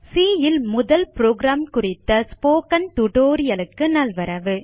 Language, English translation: Tamil, Welcome to the spoken tutorial on First C program